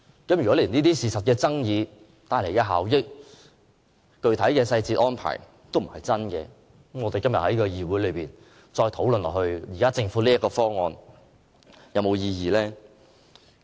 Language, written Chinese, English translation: Cantonese, 如果出現了這些事實爭議，所涉及的效益和具體細節安排並不真實，那麼今天在議會內繼續討論政府提出的方案，還有沒有意義？, With all the disputes over the issues of facts and the untruthful statements on the economic efficiency and specific details of the co - location arrangement is there still any point to continue with the discussion on the Governments proposal in this Council today?